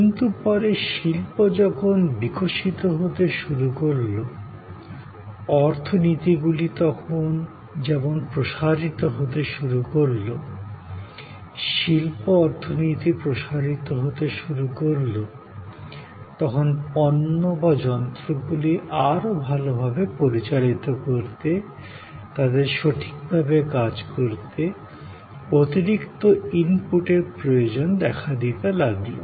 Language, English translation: Bengali, A little later as industries started evolving, as the economies started expanding, the industrial economy started expanding, there were more and more needs of additional inputs to make products or devices function better, function properly